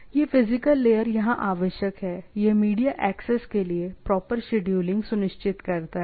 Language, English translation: Hindi, So, this physical layer, here the requirement is, ensure proper scheduling in the media access, right